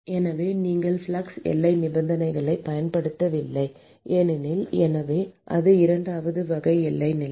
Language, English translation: Tamil, So, supposing if you use no flux boundary condition: so, that is the second type of boundary condition